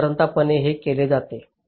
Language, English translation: Marathi, ok, this is what is normally done